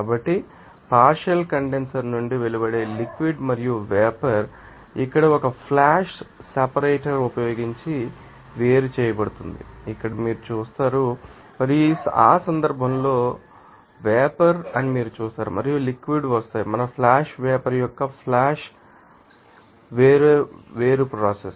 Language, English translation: Telugu, So, here you will see that you know that the liquid and vapor emerging from the partial you know condenser are separated using a flash separator here and in that case you will see that they are vapor and liquid will be coming up that you know our flash separation of flash vaporization process